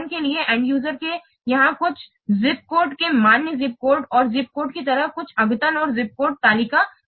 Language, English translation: Hindi, For example, here the end user updates something like validated zip code and zip code is stored somewhere else, zip code table